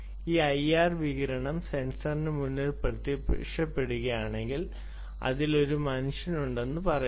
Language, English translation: Malayalam, if this i r radiation appears in front of the sensor, it says there is a human